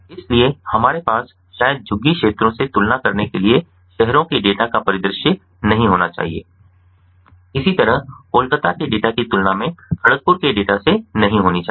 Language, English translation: Hindi, so we should not have a scenario to compare the data from cities with the data from maybe slums, slum areas, or maybe the data of kharagpur compared with the data of kolkata